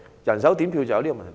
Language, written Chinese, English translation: Cantonese, 人手點票便有這問題。, Vote counting by hand would have such a problem